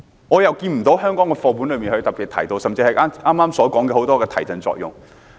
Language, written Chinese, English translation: Cantonese, 我看不到香港的課本中特別提到這點，甚至剛才所說的眾多提振作用。, I do not see in Hong Kongs textbooks any specific mention of this point nor even the various boosting effects referred to earlier